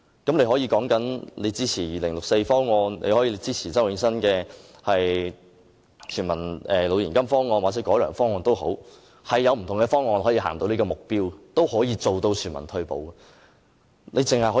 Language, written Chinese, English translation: Cantonese, 你可以說支持2064方案，也可以支持周永新的全民老年金方案或改良方案，是有不同的方案可以達致全民退休保障這目標的。, While one may support the 2064 proposal others may back Prof Nelson CHOWs universal Demo - grant or the refined proposal . The objective of universal retirement protection is achievable through different proposals